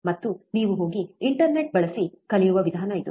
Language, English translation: Kannada, And this is the way you go and learn useing internet, right